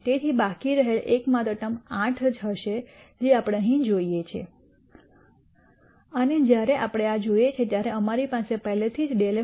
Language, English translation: Gujarati, So, the only term remaining will be 8 which is what we see here and when we look at this we already have dou f dou x 2